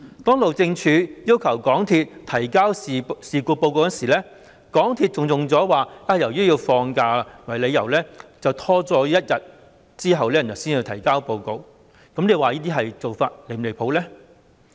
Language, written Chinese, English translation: Cantonese, 當路政署要求港鐵公司提交事故報告時，港鐵公司以"放假"為由，拖延一天才提交報告，這些做法是否離譜？, In response to a request from the Highways Department MTRCL submitted a report on the incident one day late on the grounds that the day before was a holiday